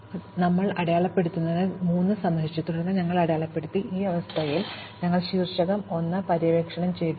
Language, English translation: Malayalam, Likewise, we mark 3 as visited, and then we mark 4 as visited, at this stage, we have finished exploring vertex 1